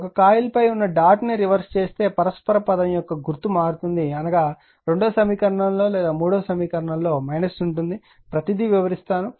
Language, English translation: Telugu, If that dot on one coilreverse the sign of the mutual, they you are the term either in equation 2 or in equation 3 will be minus I explain everything to you